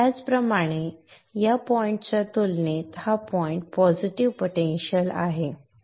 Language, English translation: Marathi, Likewise this point is at a positive potential compared to this point